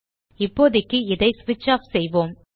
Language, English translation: Tamil, For now lets switch it off